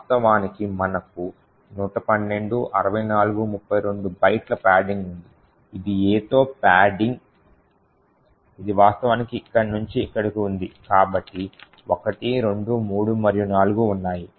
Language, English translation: Telugu, In fact, we have 112 minus 64 minus 32 bytes of padding that we see is the padding with A’s which is actually present from here to here so there are 1, 2, 3 and 4